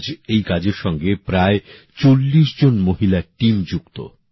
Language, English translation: Bengali, Today a team of about forty women is involved in this work